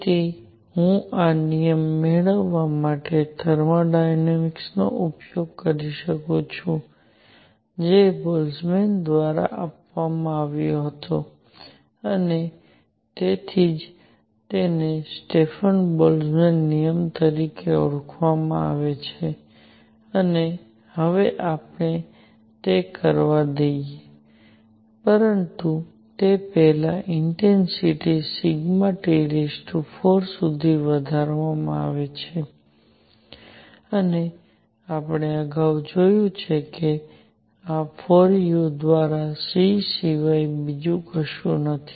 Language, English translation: Gujarati, So, I can use thermodynamics also to derive this law which was done by Boltzmann and that is why it is known as Stefan Boltzmann law and let us now do that, but before that the intensity; I is given as sigma T raise to 4 and we have seen earlier that this is nothing but c by 4 u